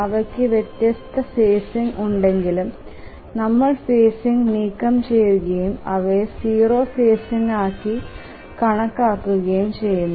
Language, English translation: Malayalam, Even if they have different phasing we just remove the phasing and consider there is to be zero phasing